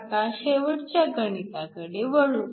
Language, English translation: Marathi, Let us now go to the last problem